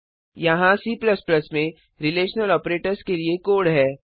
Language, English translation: Hindi, Here is the code for relational operators in C++